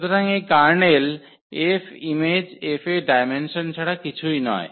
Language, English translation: Bengali, So, this kernel F is nothing but the dimension of the image F